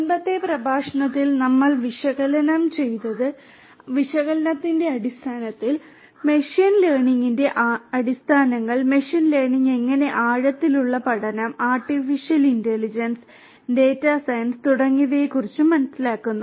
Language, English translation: Malayalam, In the previous lecture we spoke about understanding analytics, the basics of analytics, the basics of machine learning, how machine learning positions itself with deep learning, artificial intelligence, data science and so on